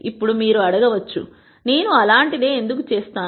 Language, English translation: Telugu, Now, you might ask; why would I do something like that